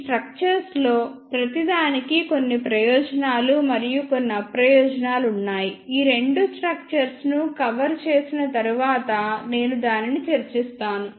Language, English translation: Telugu, Each one of these structures have some advantages and some disadvantages which I will discuss after covering these two structures